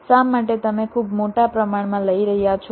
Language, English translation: Gujarati, why you are taking very large